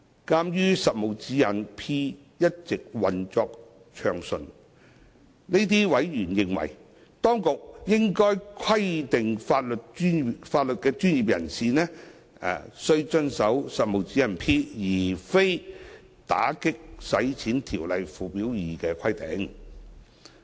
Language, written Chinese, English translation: Cantonese, 鑒於《實務指示 P》一直運作暢順，這些委員認為，當局應規定法律專業人士須遵守《實務指示 P》而非《條例》附表2的規定。, Given that PDP has been operating smoothly these members have considered that the legal professionals should be required to follow the requirements in PDP instead of those in Schedule 2 to AMLO